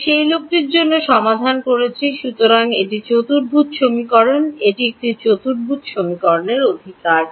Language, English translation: Bengali, Alpha is the guy that I am trying to solve for, so it is a quadratic equation; it is a quadratic equation right